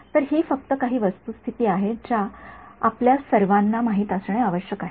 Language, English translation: Marathi, So, this is just some facts which we should all know